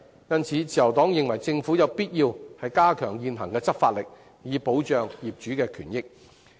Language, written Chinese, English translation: Cantonese, 因此，自由黨認為政府有必要加大現行執法的力度，以保障業主權益。, Therefore the Liberal Party considers that the Government must dial up the vigour of law enforcement currently so as to protect the rights and interests of owners